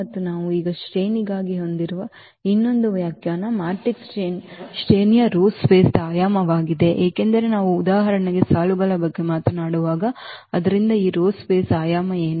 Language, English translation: Kannada, And the another definition which we have now for the rank, the rank of the matrix is the dimension of the row space because when we are talking about the rows for instance, so what will be the dimension of these rows space